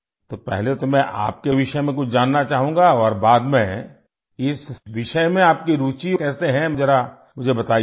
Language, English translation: Hindi, So, first I would like to know something about you and later, how you are interested in this subject, do tell me